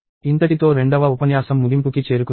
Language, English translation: Telugu, So, we are at the end of lecture 2